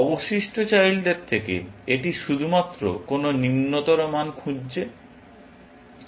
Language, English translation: Bengali, From the remaining children, it is only looking for lower value